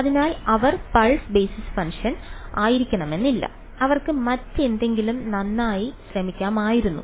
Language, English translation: Malayalam, So, it is not necessary that they have to be pulse basis function they could have been trying well anything else ok